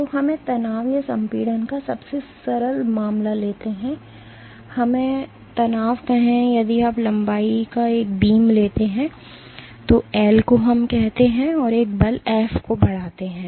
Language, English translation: Hindi, So, let us take the simplest case of tension or compression or let us say tension, if you take a beam of length L let us say and in exert a force F